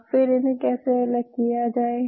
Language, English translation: Hindi, Now how to separate them out